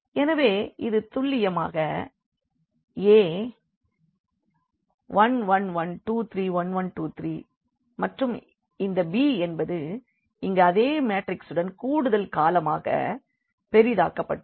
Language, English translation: Tamil, So, this is precisely the A 1 1 1 2 3 1 and 1 2 3 and this b we have augmented here with the same matrix as extra column